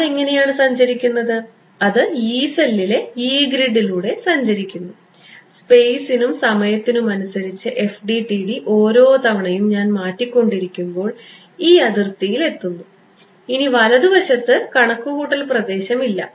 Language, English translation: Malayalam, So, how is it traveling its traveling on the Yee cell on the Yee grid FDTD is updating every time I am updating moving the feels let us say a space and time, now hits this boundary and there is no computational domain to the right